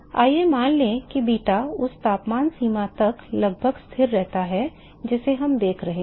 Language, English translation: Hindi, Let us assume that beta remains almost constant to the temperature range that we are looking at